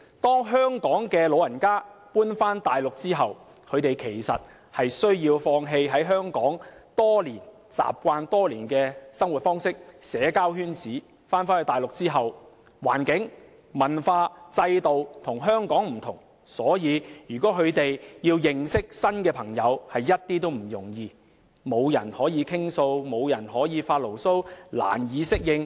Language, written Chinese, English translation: Cantonese, 當香港長者遷往大陸後，他們需要放棄在香港建立多年的生活方式及社交圈子；到了大陸後，不論是環境、文化或制度，均與香港不同，要認識新朋友一點也不容易，沒有人可以傾訴或發牢騷，令他們難以適應。, After relocated to the Mainland Hong Kong elderly persons have to relinquish the lifestyles and social networks they have built up for years . Given the environment culture and systems on the Mainland are different from those of Hong Kong elderly persons will have a hard time adapting to the new habitat where they have no one to talk or grumble to as making new friends is not easy